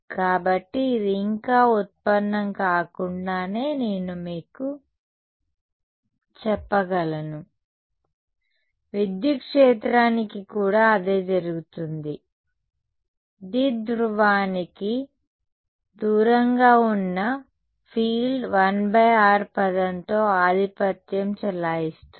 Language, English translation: Telugu, So, the and the same without yet deriving it I can tell you that the same will happen for the electric field also, the field far away from the dipole will be dominated by a 1 by r term